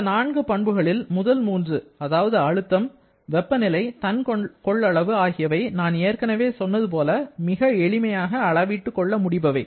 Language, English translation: Tamil, Now, out of this, the first 3 pressure, temperature, specific volume as I mentioned earlier can be measured very easily